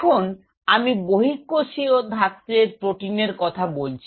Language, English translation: Bengali, Now, I am talking about extra cellular matrix protein